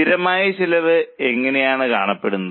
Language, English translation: Malayalam, This is how the fixed cost looks like